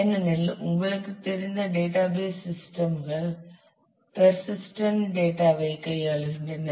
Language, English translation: Tamil, Because, database systems as you know are dealing with persistent data